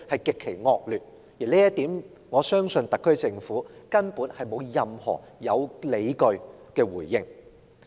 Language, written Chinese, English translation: Cantonese, 我相信就這一點而言，特區政府根本沒有任何有理據的回應。, I believe the SAR Government actually cannot offer any justification in response to this